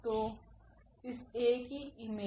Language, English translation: Hindi, So, image of this A